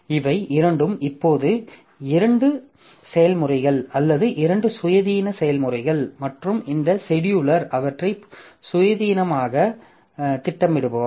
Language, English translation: Tamil, Now, both of them are two processes, two independent processes now and this scheduler will schedule them independently